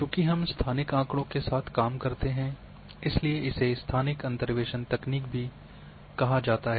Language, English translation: Hindi, Since, we go for spatial data therefore it is also called Spatial Interpolation Techniques